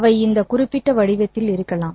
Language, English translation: Tamil, Maybe they are of this particular shape